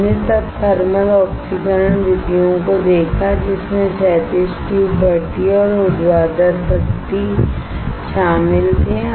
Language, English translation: Hindi, We then saw thermal oxidation methods, which included horizontal tube furnace and vertical tube furnace